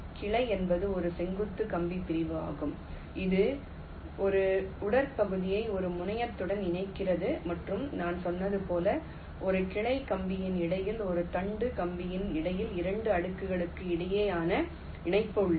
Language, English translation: Tamil, branch is a vertical wire segment that connects a trunk to a terminal and, as i said, via is a connection between two layers, between a branch wire, between a trunk wire